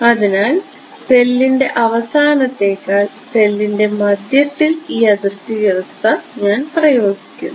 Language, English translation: Malayalam, So, I say let me just apply this boundary condition in the middle of the cell rather than at the end of the cell